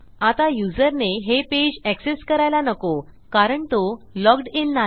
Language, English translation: Marathi, Now you dont want the users to get access to this page because they are not logged in right now